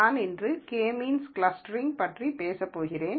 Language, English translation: Tamil, I am going to talk about K means clustering today